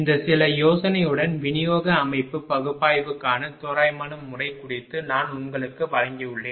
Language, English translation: Tamil, With this that some idea, I have given you regarding approximate method for distribution system analysis right